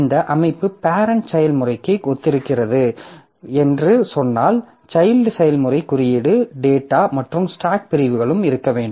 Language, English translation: Tamil, So, if I say that this structure corresponds to the parent process, then for the child process also I should have the code data and stack segments